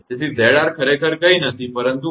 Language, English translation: Gujarati, So, Z r actually nothing, but R